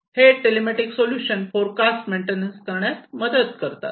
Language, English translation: Marathi, And these telematic solutions can help in forecasting maintenance etcetera